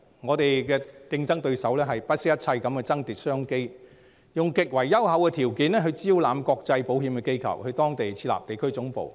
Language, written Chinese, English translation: Cantonese, 我們的競爭對手會不惜一切爭奪商機，以極為優厚的條件招攬國際保險機構到當地設立地區總部。, Our competitors will not hesitate to compete for business opportunities and solicit international insurance institutions to set up regional headquarters in their countries with extremely generous terms